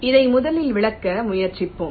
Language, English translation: Tamil, lets try to explain this first